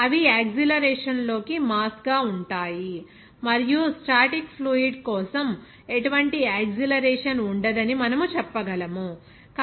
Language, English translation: Telugu, They are so it will be mass into acceleration and for static fluid we can say that there will be no acceleration, so a will be is equal to 0